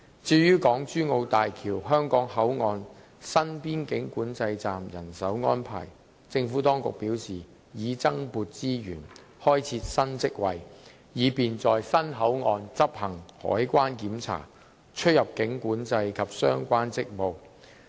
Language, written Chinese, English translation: Cantonese, 至於港珠澳大橋香港口岸新邊境管制站的人手安排，政府當局表示已增撥資源，開設新職位，以便在新口岸執行海關檢查、出入境管制及相關職務。, As for manpower deployment for the new boundary control point at HZMB HKP the Administration advised that additional resources had been allocated for the creation of new posts for customs clearance immigration control and related duties at HZMB HKP